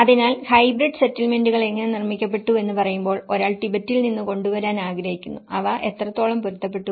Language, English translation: Malayalam, So, when we say how hybrid settlements are produced, one is wanted to bring from Tibet and how much did they adapt